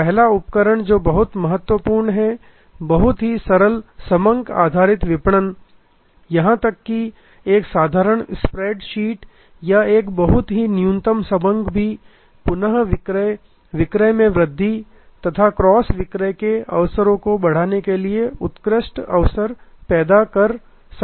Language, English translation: Hindi, First tool that is very important, very simple data base marketing, even a simple spread sheet or a very minimal database can actually create a excellent opportunities for creating repeat sales, for creating up sales and cross sales opportunities